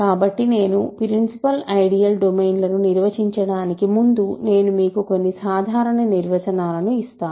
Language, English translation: Telugu, So, before I continue and define principal ideal domains, let me quickly give you some general definitions